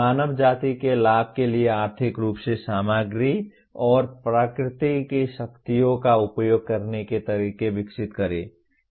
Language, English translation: Hindi, Develop ways to utilize economically the materials and forces of nature for the benefit of mankind